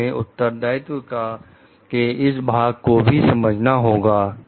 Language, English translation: Hindi, So, we have to understand this part of the responsibility also